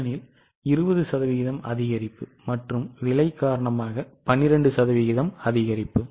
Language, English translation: Tamil, 1 because 10% increase and it says 12% increase in the selling price